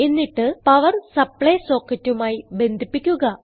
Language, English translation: Malayalam, Now, connect the other end to a power supply socket